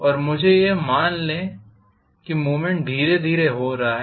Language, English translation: Hindi, And let me assume probably that the movement is taking place pretty slowly